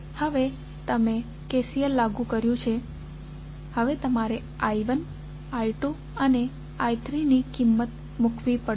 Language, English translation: Gujarati, Now, you have applied KCL now you have to put the value of I 1, I 2 and I 3